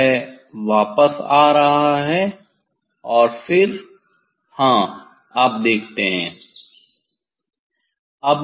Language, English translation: Hindi, it is a coming back coming back and then yes you see